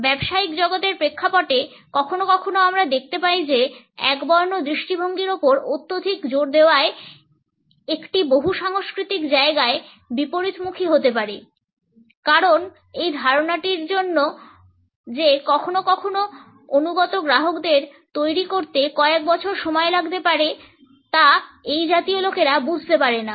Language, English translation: Bengali, In the context of the business world sometimes we find that too much of an emphasis on monochronic perspective can backfire in a multicultural setting because the idea that sometimes it may take years to develop a loyal customer base is not understood by such people